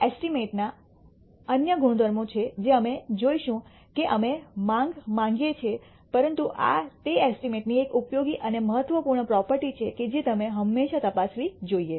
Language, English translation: Gujarati, There are other properties of estimates we will see that we want the demand, but this is an useful and important property of estimates that you should always check